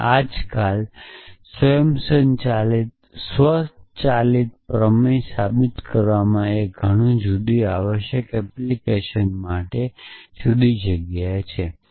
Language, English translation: Gujarati, And nowadays, automatic theorem proving is an, in many different